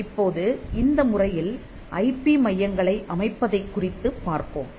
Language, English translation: Tamil, Now, in this lecture we will look at setting up IP centres